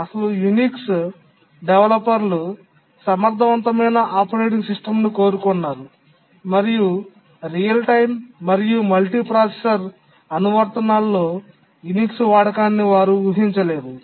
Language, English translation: Telugu, The original Unix developers wanted an efficient operating system and they did not visualize the use of Unix in real time and multiprocessor applications